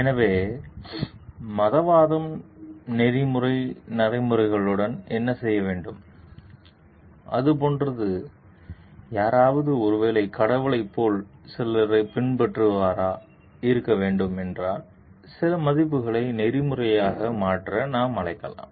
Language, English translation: Tamil, So, what does religiosity has to do with ethical practices and like is it if someone has to be a follower of certain like maybe god so that, we can invite certain values to become ethical